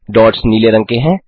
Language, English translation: Hindi, The dots are of blue color